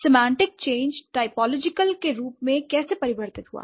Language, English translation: Hindi, So, how did the semantic change happen typologically